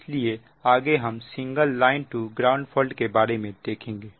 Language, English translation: Hindi, this we have seen for double line to ground fault